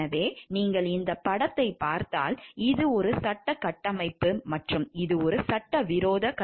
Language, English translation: Tamil, So, if you see this picture what we find this is a legal framework, this is an ethical framework and this is an illegal framework